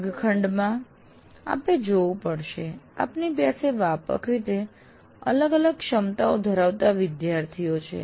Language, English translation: Gujarati, And what happened in a classroom, you have to acknowledge that you have students with widely varying abilities in your class